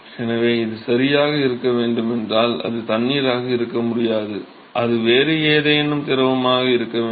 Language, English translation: Tamil, So, if this has to be correct, and it has to, it cannot be water, it has to be some other fluid